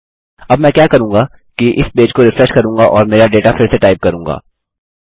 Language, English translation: Hindi, What I will do now is refresh this page and retype my data